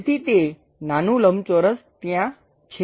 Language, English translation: Gujarati, So, that small rectangle always be there